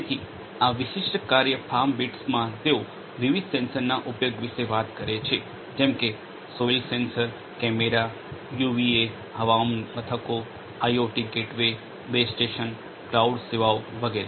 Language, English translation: Gujarati, So, in this particular work FarmBeats they talk about the use of different sensors such as; the soil sensors, cameras, UVAs weather stations, IoT gateways, base station, cloud services etcetera